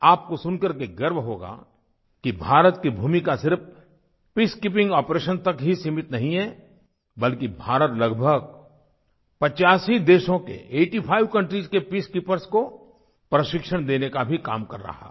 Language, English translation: Hindi, You will surely feel proud to know that India's contribution is not limited to just peacekeeping operations but it is also providing training to peacekeepers from about eighty five countries